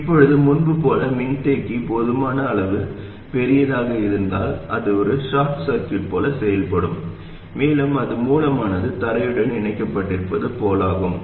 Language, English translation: Tamil, Now as before, if the capacity is sufficiently large, what happens is that it will act like a short circuit and it is as though the source is connected to ground